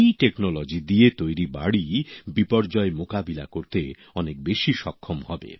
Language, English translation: Bengali, Houses made with this technology will be lot more capable of withstanding disasters